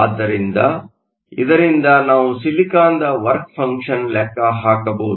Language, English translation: Kannada, So, from this we can calculate the work function of the silicon